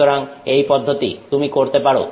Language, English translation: Bengali, And so this process you can do